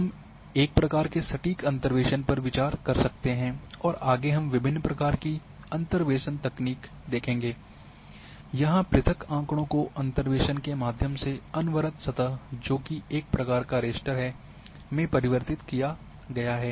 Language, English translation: Hindi, So, these we may consider a sort of exact interpolation we will see different types of interpolation technique, so converting from discrete data here to a continuous surface as raster through the interpolation